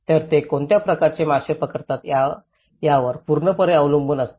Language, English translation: Marathi, So, it depends completely on the kind of fish catch they get